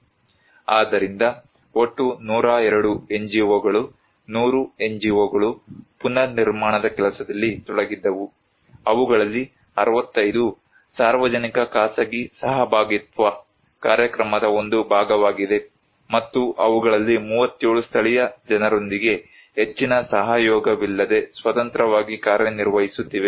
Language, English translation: Kannada, So, total 102 NGOs; 100 NGO’s were involved working on reconstructions, 65 of them have been a part of “public private partnership” program and 37 out of them is working as independently without much collaborations with the local people